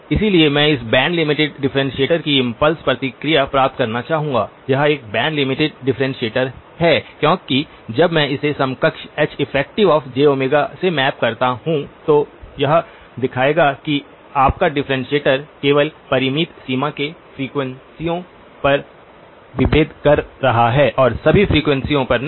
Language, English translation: Hindi, So I would like to obtain the impulse response of this band limited differentiator, it is a band limited differentiator because when I map it into the equivalent H effective of j omega that that will show that your differentiator was only differentiating over a finite range of frequencies and not over all frequencies